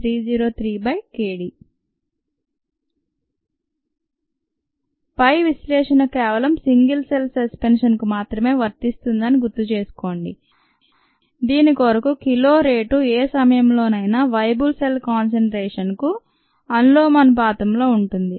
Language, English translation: Telugu, recall that the above analysis is applicable only to a suspension of single cells for which the rate of kill is directly proportional to the viable cell concentration at any given time